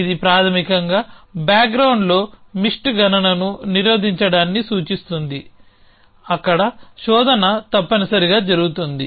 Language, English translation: Telugu, It basically implies at the background the deter mist calculation there search happening essentially